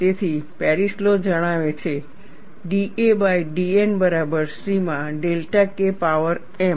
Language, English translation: Gujarati, So, the Paris law states, d a by d N equal to C into delta K power m